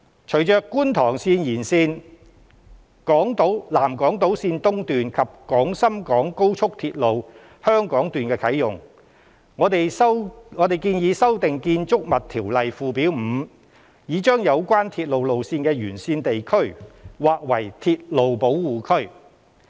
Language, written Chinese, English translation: Cantonese, 隨着觀塘綫延綫、南港島綫及廣深港高速鐵路的啟用，我們建議修訂《條例》附表 5， 以將有關鐵路路線的沿線地區劃為鐵路保護區。, With the Kwun Tong Line Extension the South Island line East and the Hong Kong Section of the Guangzhou - Shenzhen - Hong Kong Express Rail Link coming into operation we propose that the Schedule 5 to the Ordinance be amended so as to include the areas along these railway lines as railway protection areas